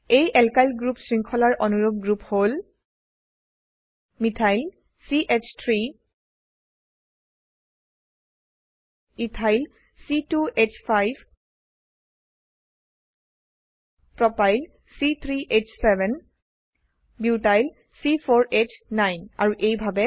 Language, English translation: Assamese, Homologues of the Alkyl group series include, Methyl CH3 Ethyl C2H5 Propyl C3H7 Butyl C4H9 and so on